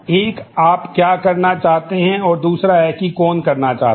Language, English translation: Hindi, One is what you want to do, and two is who wants to do that